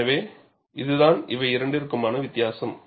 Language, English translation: Tamil, So, this is the difference